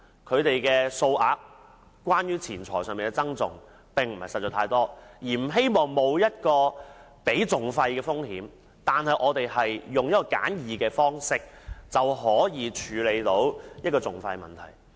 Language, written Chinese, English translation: Cantonese, 他們所牽涉的金錢訴訟款額不大，自然不想冒支付訟費的風險，而希望以簡易的方式處理錢債問題。, Since the amount involved in the dispute is usually not large naturally the parties concerned are reluctant to bear the risk of paying the litigation costs and prefer settling their monetary dispute in an easier way